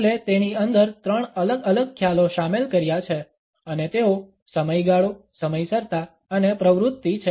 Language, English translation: Gujarati, Hall has included three different concepts within it and these are duration, punctuality and activity